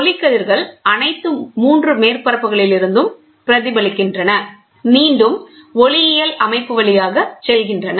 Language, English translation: Tamil, The light rays reflect from all the 3 surfaces, passes through the optical system again